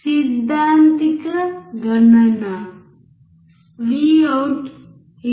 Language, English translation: Telugu, Theoretical calculation gives Vout= 2